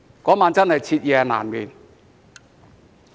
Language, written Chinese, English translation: Cantonese, 那晚真的徹夜難眠。, I really had a hard time sleeping that night